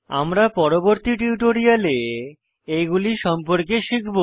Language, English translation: Bengali, We will learn about these options in subsequent tutorials